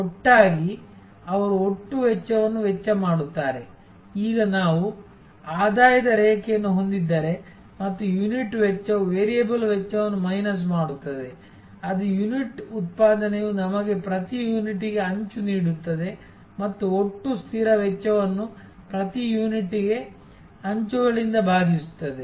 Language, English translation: Kannada, Together they cost the total cost, now if we have a revenue line and so the unit cost minus the variable cost, which is linked that unit production gives us the margin per unit and the total fixed cost divided by that margin per unit gives us the break even volume or the break even sales